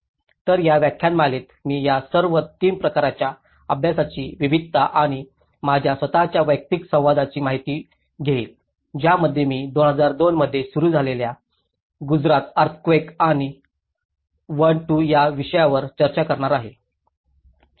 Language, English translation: Marathi, So, in this lecture, I am going to cover a wide variety of examples and my own personal interaction with all these 3 case studies which I am going to discuss about the Gujarat earthquake starting in 2002 and to this one, two